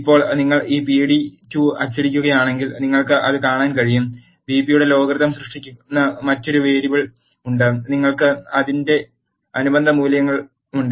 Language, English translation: Malayalam, Now, if you print this pd2 you can see that, there is another variable that is logarithm of BP that is created and you have the corresponding values of it